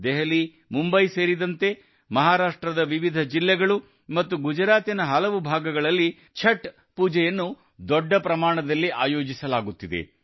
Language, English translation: Kannada, Chhath is now getting organized on a large scale in different districts of Maharashtra along with Delhi, Mumbai and many parts of Gujarat